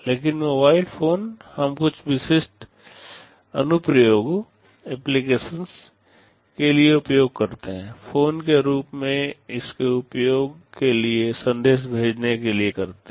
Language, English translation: Hindi, But mobile phones we use for some specific applications, for its use as a phone, sending messages